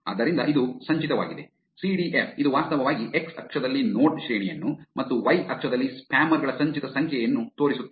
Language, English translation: Kannada, So, this is cumulative, CDF, which actually shows you node rank at the x axis and cumulative number of spammers in the y axis